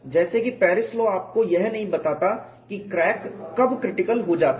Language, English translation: Hindi, As such Paris law does not tell you when the crack becomes critical